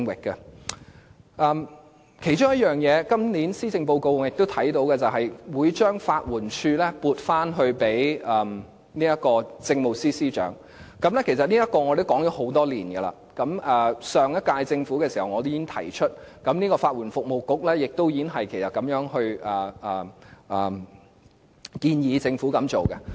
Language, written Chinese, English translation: Cantonese, 我看到今年的施政報告內其中一點是，政府會將法律援助署撥歸政務司司長負責，其實就這項安排，我們已建議多年，我在上屆政府已提出，而法律援助服務局也建議政府作出這項安排。, I spotted one thing in this years Policy Address the Government will put the Legal Aid Department LAD under the leadership of the Chief Secretary for Administration . Regarding this arrangement it was a piece of advice we made over the years . I made such advice during the previous term of Government too and the Legal Aid Services Council also made such advice to the Government